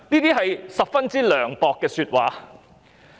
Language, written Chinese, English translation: Cantonese, 這是十分涼薄的說話。, That was a very callous remark